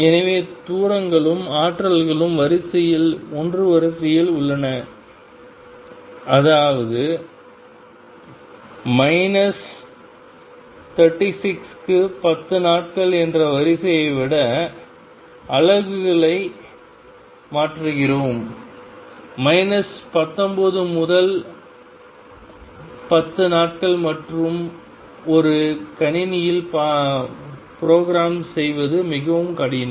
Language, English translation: Tamil, So, that the distances and energies are of the order of one; that means, we changing units rather than of the order of being 10 days to minus 36; 10 days to minus 19 and so on that will be very difficult to program in a computer